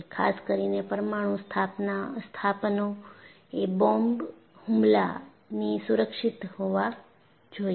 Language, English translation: Gujarati, Particularly, nuclear installations should be safe from a bomb attack